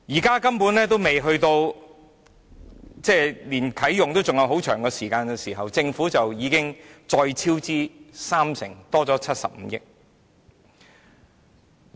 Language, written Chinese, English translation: Cantonese, 現在距離啟用還有很長時間，但政府已經超支三成，增加了75億元。, Yet the cost has already overrun the budget by 30 % or 7.5 billion despite the fact that it has still a long way to go for the incinerator to commence operation